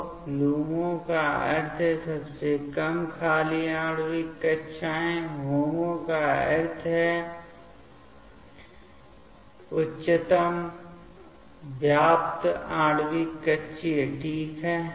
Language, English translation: Hindi, So, LUMO means lowest unoccupied molecular orbital and HOMO means highest occupied molecular orbital ok